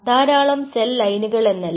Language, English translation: Malayalam, so there are several cell lines